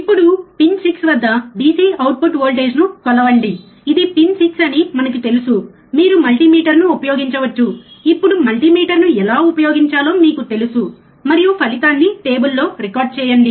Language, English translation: Telugu, Now, measure the DC output voltage at pin 6 this is pin 6 we know, right using multimeter you can use multimeter, you know, how to use multimeter now and record the result in table